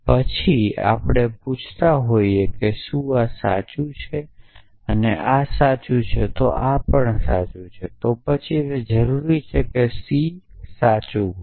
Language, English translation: Gujarati, Then we are asking if this is true and this is this is true this is true then is it necessary that c is true